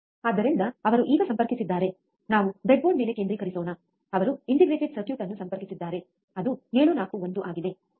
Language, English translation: Kannada, So, he has connected now let us focus on the breadboard, he has connected the integrated circuit which is 741, right